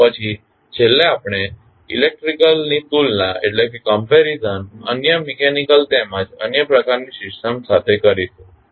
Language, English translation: Gujarati, Then finally we will move on to comparison of electrical with the other mechanical as well as other types of systems